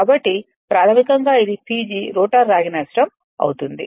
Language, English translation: Telugu, So, basically it will be P G minus the rotor copper loss right